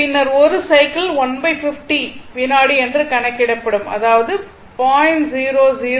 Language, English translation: Tamil, Then, you can find out 1 cycle will be computed by 1 upon 50 second that is 0